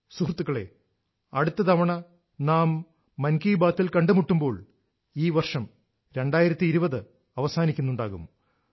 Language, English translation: Malayalam, Friends, the next time when we meet in Mann Ki Baat, the year 2020 will be drawing to a close